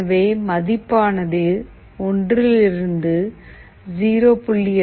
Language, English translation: Tamil, So, the value from 1 has been reduced to 0